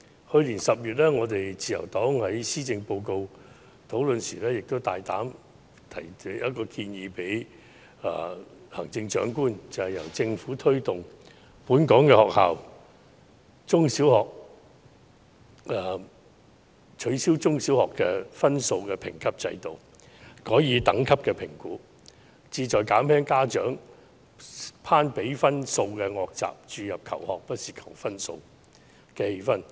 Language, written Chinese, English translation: Cantonese, 去年10月，自由黨在施政報告討論時，大膽向行政長官提出一項建議，便是由政府推動本港學校取消中小學的分數評級制度，改以等級評估，旨在減輕家長攀比分數的惡習，從而注入"求學不是求分數"的氛圍。, In October last year during the debate on the Policy Address the Liberal Party boldly put forward a suggestion to the Chief Executive urging the Government to replace the score - based grading system of all secondary and primary schools in Hong Kong with grade - based assessment which seeks to eliminate the undesirable practice of parents comparing scores so as to create an atmosphere emphasizing that learning is more than scoring